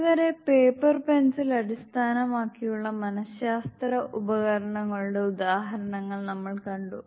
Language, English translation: Malayalam, Till now we saw examples of paper pencil based psychological tools